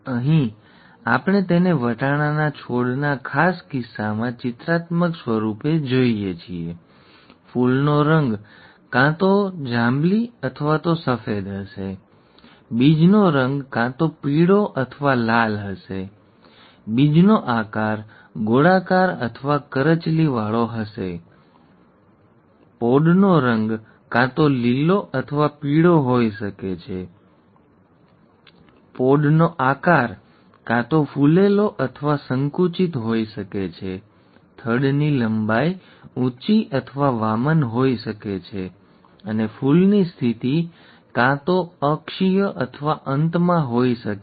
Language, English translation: Gujarati, Here, we see it in a pictorial form in the particular case of pea plants; the flower colour would either be purple or white; the seed colour would either be yellow or green; the seed shape would be round or wrinkled, by round it is actually smooth, round or wrinkled; the pod colour could either be green or yellow; the pod shape could be either inflated or constricted; the stem length could be either tall or dwarf; and the flower position could be either axial or at the end, terminal, okay